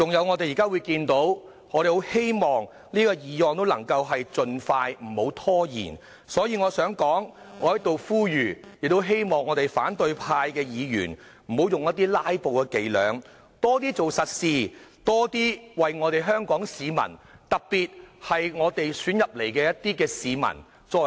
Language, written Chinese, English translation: Cantonese, 我希望這項決議案能夠盡快通過，不要拖延，因此我在此呼籲反對派的議員不要再用"拉布"的伎倆，多為香港市民做實事，特別是為選我們進入立法會的市民做事。, I hope this resolution can be passed expeditiously without delay . Hence I hereby urge Members of the opposition camp to refrain from playing their filibustering tricks . I urge them to do more solid work for Hong Kong people especially for those who elected us as Legislative Council Members